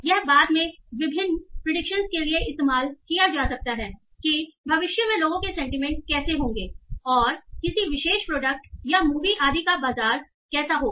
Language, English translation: Hindi, And this can later be used for doing various predictions that how people's sentiments will move in future and maybe what will the market or a particular product or a movie and so on